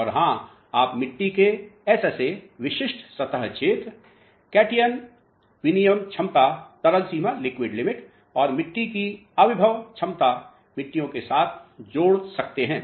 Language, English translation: Hindi, And of course, you can link w h with SSA a Specific Surface Area, cation exchange capacity, liquid limit and soil in potential of the soils